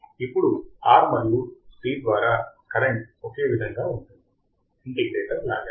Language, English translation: Telugu, Now, since the current through R and C are the same, like the integrator